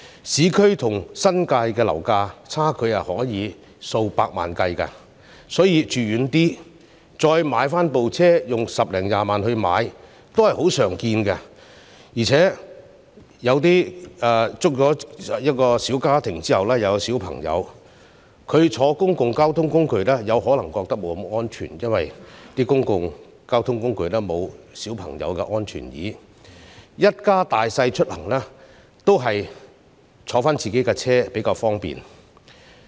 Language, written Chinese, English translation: Cantonese, 市區和新界的樓價差距可以是數百萬元計，所以，市民選擇居於較偏遠的地區，再花十多二十萬元來購買汽車代步是十分常見的，而且有些小家庭生育孩子後，或會認為乘坐公共交通工具不太安全，因為公共交通工具沒有為小孩而設的安全椅，一家大小出行還是乘坐自己的汽車較方便。, The difference in property prices between the urban area and the New Territories can be millions of dollars . Therefore it is very common for people to choose living in more remote areas and spending more than one to two hundred thousand dollars to buy a car for transport . Some small families having given birth to children think that public transport is not very safe as no safety seats for children are available and it is more convenient for them to travel in their own car